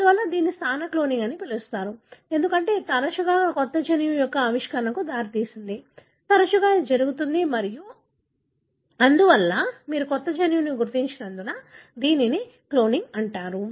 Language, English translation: Telugu, Therefore, it is called as positional cloning, because more often this led to a discovery of a new gene, more often that is the case and therefore, it is called as cloning, because you identified a new gene